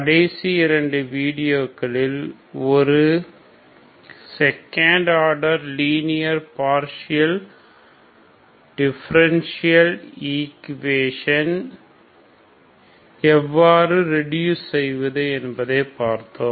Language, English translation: Tamil, We have seen in the last two videos we have seen how to reduce second order a linear partial differential equation